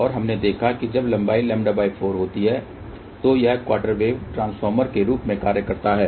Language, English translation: Hindi, And we saw that when the length is lambda by 4 it acts as a quarter wave transformer